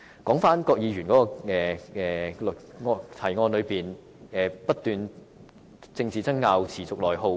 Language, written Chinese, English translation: Cantonese, 郭議員在議案提到"因政治爭拗而持續內耗"。, Mr KWOK mentions continuous internal attrition due to political wrangling in his motion